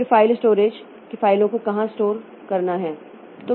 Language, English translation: Hindi, Then this file storage, how much where to store the file